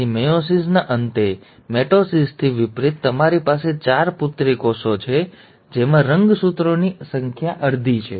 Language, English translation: Gujarati, So at the end of meiosis, unlike mitosis, you have four daughter cells with half the number of chromosomes